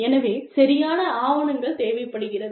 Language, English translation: Tamil, So, proper documentation is required